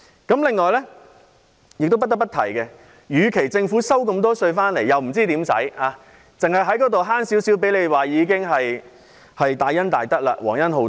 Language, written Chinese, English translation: Cantonese, 此外，不得不提的一點是，政府收取的稅款很多，但卻不知道該怎樣花，多一點寬免便算是大恩大德，皇恩浩蕩。, Furthermore I have to mention one more point that is the Government does not know how to spend the large amount of tax collected . An extra concession is regarded as a great kindness